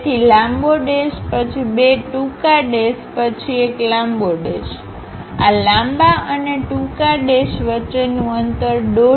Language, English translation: Gujarati, So, a long dash, small two dashes followed by long dash; the gap between these long dash and short dash is 1